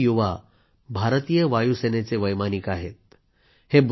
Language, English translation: Marathi, All of them are pilots of the Indian Air Force